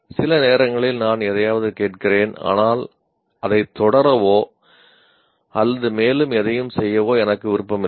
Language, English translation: Tamil, Sometimes I listen to something but I am not interested in pursuing it or doing anything further